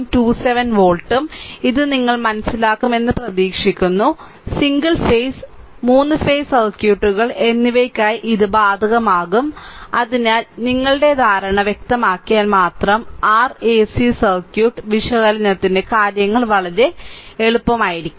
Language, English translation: Malayalam, 27 volt, I hope you are understanding this, right and same thing that we will be applied for single phase and 3 phases circuit right and ahso, here only ah if we make our understanding clear, then things will be will be very easy for your ac circuit analysis